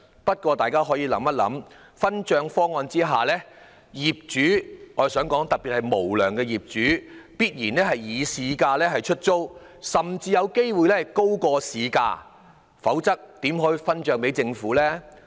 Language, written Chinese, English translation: Cantonese, 不過大家可以想想，在這個分帳方案下，業主——特別是無良業主——必然會以市價出租其單位，甚至有機會高於市價，否則怎能分帳給政府呢？, But let us think about it . Under this proposal of sharing incomes landlords especially the unscrupulous ones will certainly lease their flats at market rents or an higher rents . Otherwise how can they share the incomes with the Government?